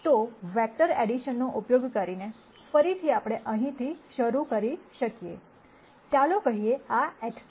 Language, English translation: Gujarati, So, using vector addition, again we can start from here let us say, and this is x